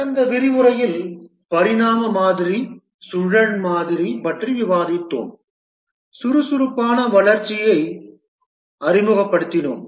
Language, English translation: Tamil, In the last lecture, we had discussed about the evolutionary model, the spiral model, and we had just introduced the agile development